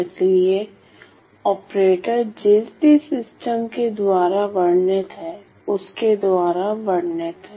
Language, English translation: Hindi, So, operator described by whatever system I am talking about described by the system ok